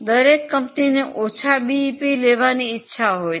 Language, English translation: Gujarati, I think every company wants lower BEP